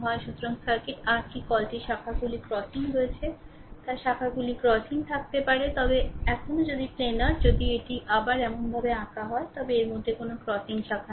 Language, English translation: Bengali, So, circuit your what you call we have crossing branches, may have crossing branches, but still if planar if it can be redrawn such that, it has no crossing branches